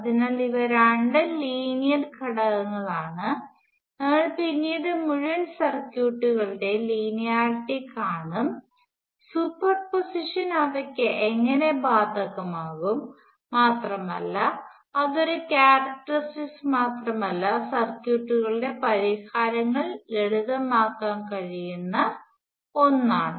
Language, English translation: Malayalam, So, both of these are linear elements, we will see later, see linearity of whole circuits, and how super position applies to them, and it is not just a property; it is something which can simplify the solutions of circuits